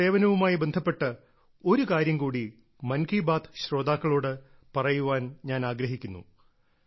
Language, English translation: Malayalam, There is one more thing related to police service that I want to convey to the listeners of 'Mann Ki Baat'